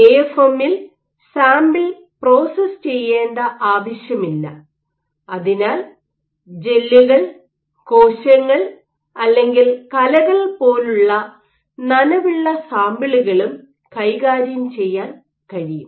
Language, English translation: Malayalam, Because for AFM you do not require any sample processing; so, you can deal with wet samples like gels, cells or even tissues